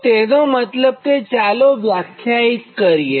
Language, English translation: Gujarati, so that means now will define